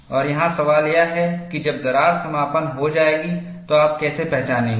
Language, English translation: Hindi, And the question here is, how will you identify when does the crack close and when does the crack opens